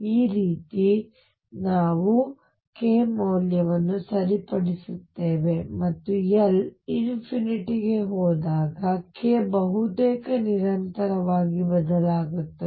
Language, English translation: Kannada, This is how we fix the value of k and when L goes to infinity k changes almost continuously